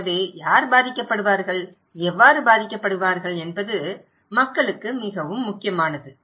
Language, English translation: Tamil, So, who will be impacted, how will be impacted is very important for people